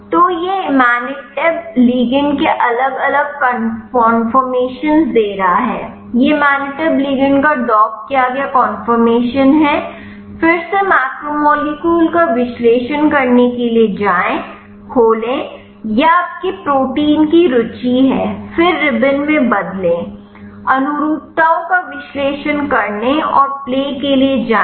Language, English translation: Hindi, So, this is giving the different conformers of imatinib ligand, this is the docked conformation of the imatinib ligand, go to analyze again macromolecule, open, this is your interest of protein, then change into ribbon, go to analyze conformations and play